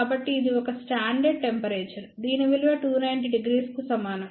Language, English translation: Telugu, So, this is nothing but a standard temperature which is equal to 290 degree